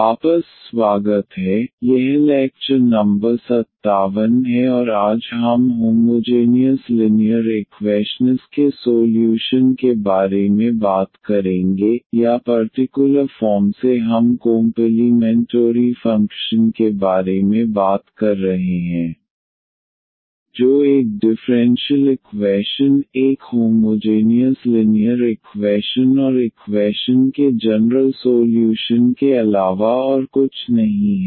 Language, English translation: Hindi, Welcome back, this is lecture number 57 and today we will be talking about the Solutions of Homogeneous Linear Equations or in particular we are talking about the complementary function that is nothing but the general solution of a differential equation, a homogeneous linear differential equation